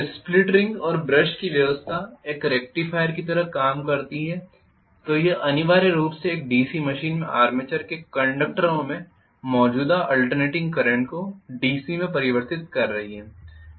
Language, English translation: Hindi, So split ring and brush arrangement works like a rectifier it essentially is converting the alternating current in the conductors of the armature in a DC machine to DC